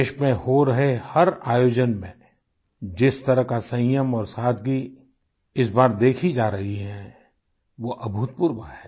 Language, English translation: Hindi, At every event being organised in the country, the kind of patience and simplicity being witnessed this time is unprecedented